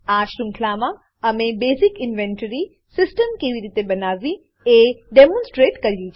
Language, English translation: Gujarati, In this series, we have demonstrated how to create a basic inventory system